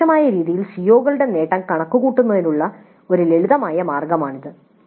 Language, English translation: Malayalam, But this is one simple way of computing the attainment of COs in an indirect fashion